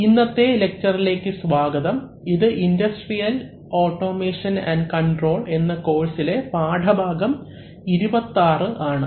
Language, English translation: Malayalam, Welcome to today's lecture which is like, which is lesson number 26 of the course on industrial automation and control